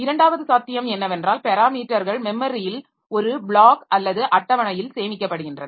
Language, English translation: Tamil, Second possibility is the parameters are stored in a block or table in memory and address of the block passed as a parameter in a register